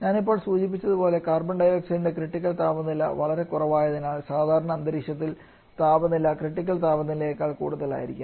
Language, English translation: Malayalam, Like for Carbon dioxide and just mentioned that for Carbon dioxide critical pressure temperature is so low that under normal atmospheric condition the temperature in higher the critical temperature